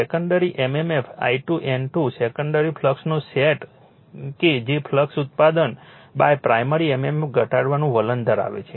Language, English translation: Gujarati, The secondary mmf I 2 N 2 sets of a secondary flux that tends to reduce the flux produce by the primary mmf